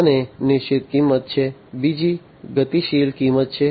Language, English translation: Gujarati, One is the fixed pricing, the other one is the dynamic pricing